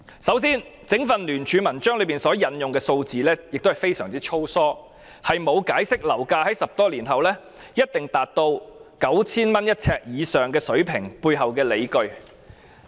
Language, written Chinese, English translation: Cantonese, 首先，整份聯署文件引用的數字非常粗疏，沒有解釋樓價在10多年後一定達到每呎 9,000 元以上水平背後的理據。, First the figures quoted in the entire document are very sloppy without explaining the justification for assuming that flat prices will definitely reach the level of 9,000 per square feet after 10 - odd years